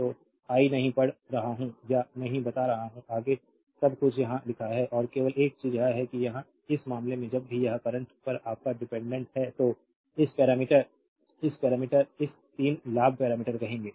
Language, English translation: Hindi, So, I am not reading or not telling further everything is written here right and only thing is that here in this case whenever it is your dependent on the current so, this parameter this 3 you will call the gain parameter right